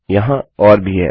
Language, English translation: Hindi, There are more